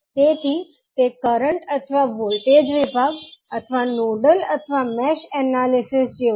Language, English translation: Gujarati, So, that is like a current or voltage division or nodal or mesh analysis